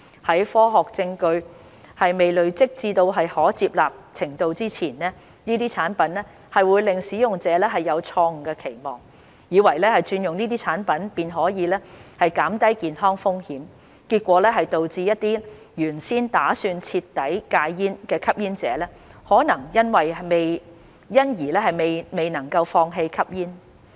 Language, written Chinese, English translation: Cantonese, 在科學證據尚未出現和累積至可接納程度前，這些產品或會令使用者有錯誤期望，以為轉用這些產品便可減低健康風險，結果導致一些原先打算徹底戒煙的吸煙者可能因而未能放棄吸煙。, While awaiting the scientific evidence to emerge and accumulate these products may give smokers the false expectation that switching to these products means reduction in health risks thus preventing smokers who might otherwise have attempted to quit smoking completely from doing so